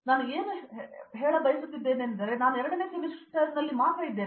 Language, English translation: Kannada, What I use to, I am actually in the second semester only